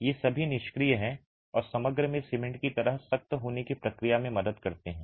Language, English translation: Hindi, These are all inert and help in the process of hardening like the cement in the composite